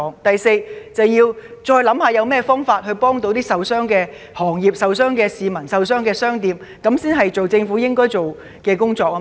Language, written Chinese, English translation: Cantonese, 第四，政府必須再思考有何方法協助受傷的行業、受傷的市民和商店，這才是政府該做的工作。, Fourth the Government must reconsider how to provide assistance to industries people and shops that have been adversely affected . That is what the Government should do